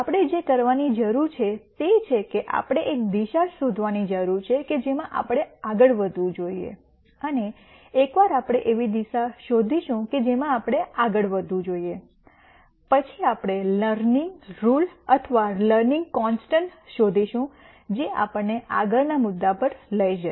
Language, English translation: Gujarati, What we need to do is we need to find a direction in which to move and once we find a direction in which we would like to move, then we will find out a learning rule or a learning constant which will take us to the next point